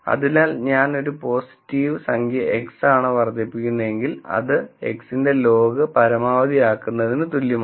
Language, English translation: Malayalam, So, if I am maximizing a positive number X, then that it is equivalent to maximising log of X also